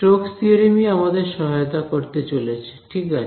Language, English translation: Bengali, Stokes theorem is what is going to help us right